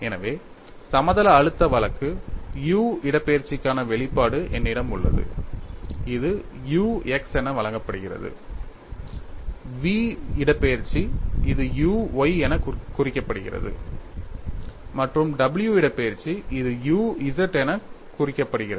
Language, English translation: Tamil, So, for the plane stress case, I have the expression for u displacement which is given as u x; v displacement, it is represented as u y, and w displacement, it is represented as u z